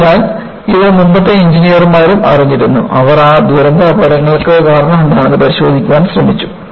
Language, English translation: Malayalam, So, this was also known by earlier engineers and they try to look at, what was the cause of those catastrophic accidents